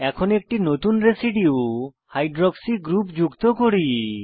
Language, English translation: Bengali, Lets now add a new residue Hydroxy group